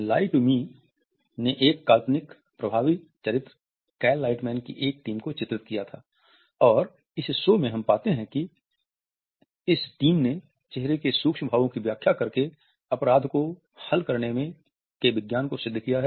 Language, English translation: Hindi, Lie to Me interestingly had featured a handpicked team of an imaginary effective character Cal Lightman and in this show we find that this team has perfected the science of solving crime by deciphering micro expressions